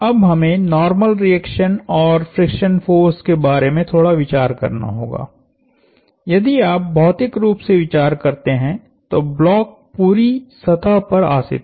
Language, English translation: Hindi, Now, we have to think a little bit about the normal reaction and the friction force, if you think of it physically the block is sitting on the entire surface